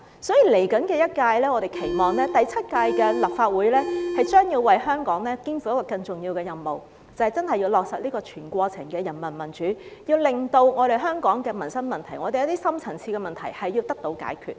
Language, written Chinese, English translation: Cantonese, 所以在未來一屆，我們期望第七屆的立法會將要為香港肩負更重要的任務，就是真的要落實全過程的人民民主，令到香港的民生問題、一些深層次的問題得到解決。, Therefore in the coming term we hope that the Seventh Legislative Council will take on a more important task for Hong Kong that is to really implement whole - process peoples democracy so that Hong Kongs livelihood issues and deep - seated problems can be resolved